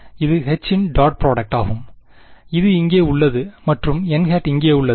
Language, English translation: Tamil, It is the dot product of H which is here and n which is here